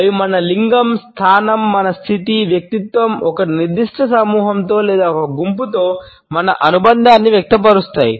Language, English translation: Telugu, They project our gender, position, our status, personality as well as our affiliation either with a particular group or a particular sect